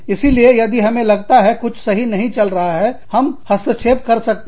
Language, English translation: Hindi, So, if we feel that, something is not going right, we can intervene